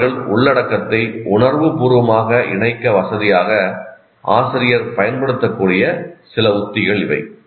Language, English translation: Tamil, There are some of the strategies teacher can use to facilitate students to emotionally connect with the content